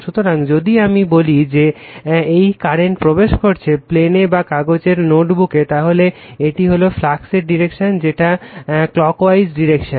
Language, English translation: Bengali, So, if I say this current is entering into the plane right or in the paper your notebook say it is entering, then this is the direction of the flux right that is clockwise direction